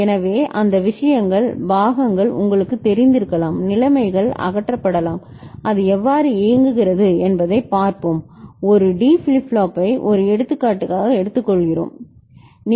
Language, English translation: Tamil, So, all those things, parts can be you know, conditions can be eliminated, and let us see how it works and we take a D flip flop as an example ok